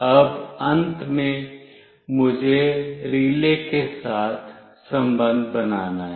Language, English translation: Hindi, Now, finally I have to make a connection with the relay